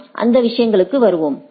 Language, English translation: Tamil, We will come to those things right